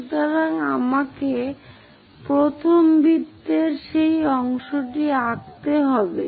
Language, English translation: Bengali, So, let me draw that part of the circle first of all